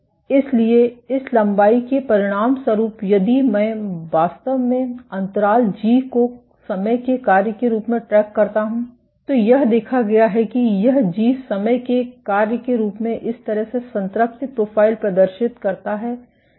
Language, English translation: Hindi, So, as a consequence this length if I actually track the gap g as a function of time, what has been observed is this g as a function of time exhibits a saturation profile like this